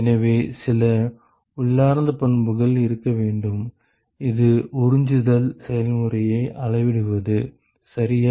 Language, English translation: Tamil, So, it has to, there has to be some intrinsic property, which quantifies the absorption process right